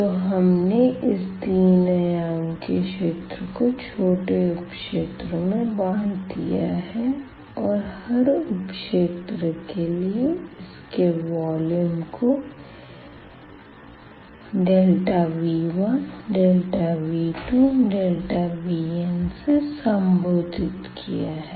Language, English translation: Hindi, So, we have a 3 dimensional a space now and we have divided that into small regions and for each region we are denoting its volume by this delta V 1 delta V 2 and delta V n